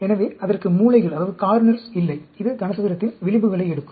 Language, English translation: Tamil, So, it does not have the corners; it takes the edges of the cube